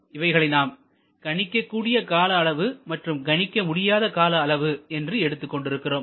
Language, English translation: Tamil, There we have taken predictable duration and unpredictable duration